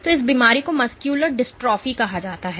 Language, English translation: Hindi, So, this this disease is called muscular dystrophy